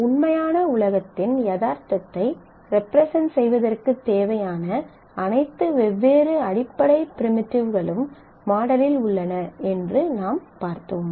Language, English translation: Tamil, We will go forward, in the model we have seen all the different primitives required to represent the reality represent what holds in the real world